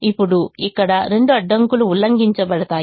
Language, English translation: Telugu, now here both the constraints are violated